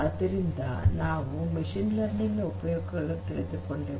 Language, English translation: Kannada, So, we have understood the benefits of machine learning